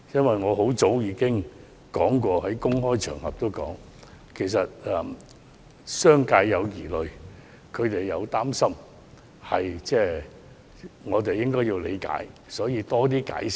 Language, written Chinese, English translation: Cantonese, 其實，很早以前，我已在公開場合指出商界有疑慮和擔心，我們要理解，也要多加解釋。, In fact I have long since pointed out on public occasions the misgivings and worries of the business sector and that we hoped to have more understanding and further explanations